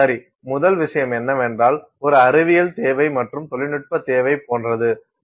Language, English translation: Tamil, Well, first thing is there is like a scientific need and a technological need